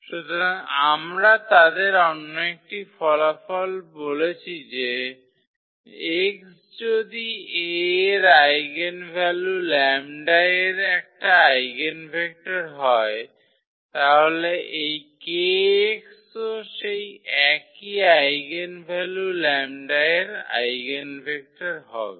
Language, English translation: Bengali, So, another result we have they said if x is an eigenvector of A corresponding to the eigenvalue lambda, then this kx is also the eigenvector corresponding to the same eigenvalue lambda